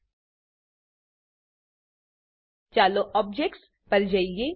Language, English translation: Gujarati, Let us move on to objects